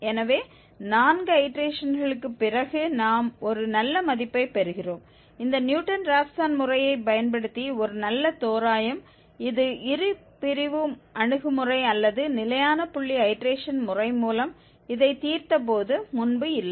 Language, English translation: Tamil, So just after 4 iterations we are getting a very good value, a very nice approximation using this Newton Raphson method which was not the case earlier when we have solved this with Bisection approach or the Fixed Point Iteration Method